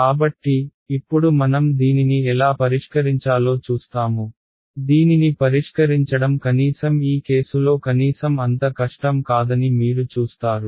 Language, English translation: Telugu, So, now we will look at how to solve it you will see that solving this is actually not that difficult at least in this case